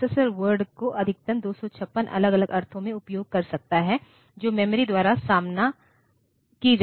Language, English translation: Hindi, The processor can use at most 256 different meaning of the word that is faced from the memory